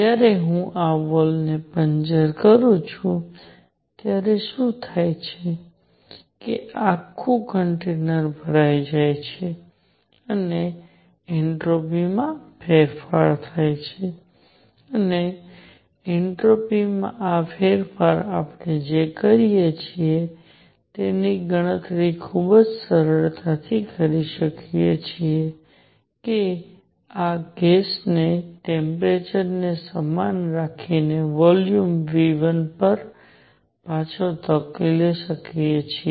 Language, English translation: Gujarati, When I puncture this wall, what happens is this entire entire container gets filled and there is a change in entropy and this change in entropy can we calculate very easily what we do is push this gas back to volume V 1 keeping the temperature the same